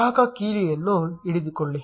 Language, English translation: Kannada, Get hold of the consumer key